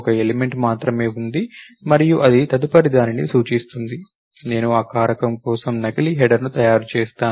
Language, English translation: Telugu, Only one element is there and it points to the next, I make a dummy header for that factor